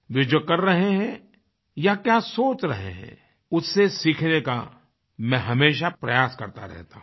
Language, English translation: Hindi, I try to learn from whatever they are doing or whatever they are thinking